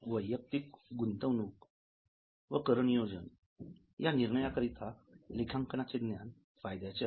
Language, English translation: Marathi, Now, the knowledge of accounting is also useful for personal investment and tax planning decisions